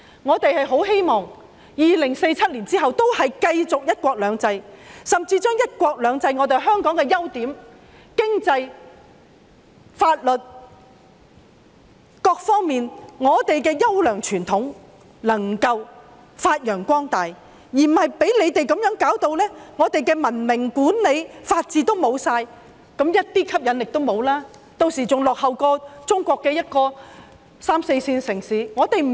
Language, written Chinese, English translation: Cantonese, 我們很希望2047年之後仍然可以繼續實施"一國兩制"，甚至在"一國兩制"下把香港的優點、經濟、法律等各方面的優良傳統發揚光大，而不是被你們搞得香港失去文明管理、法治，變得一點吸引力都沒有，屆時香港比中國的三四線城市還要落後。, We hope that under one country two systems Hong Kongs strengths and fine traditions in the economic and legal aspects and so on will be carried forward . We do not want all of you to cause Hong Kong to lose its civilized management and rule of law losing all of its appeal . By then Hong Kong will be lagging behind the third and fourth tier cities of China